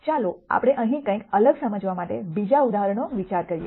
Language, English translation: Gujarati, Let us consider another example for us to illustrate something different here